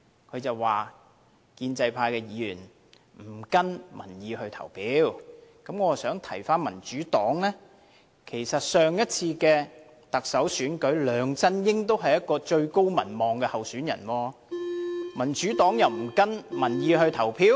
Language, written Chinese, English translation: Cantonese, 他說建制派議員不跟從民意投票，我想提醒民主黨，上次的特首選舉，梁振英是最高民望的候選人，民主黨也沒有跟從民意投票。, He accused pro - establishment Members of not voting in line with public opinions . I would like to remind the Democratic Party . In the previous Chief Executive election Mr LEUNG Chun - ying was the most popular candidate but the Democratic Party did not vote for him based on public opinions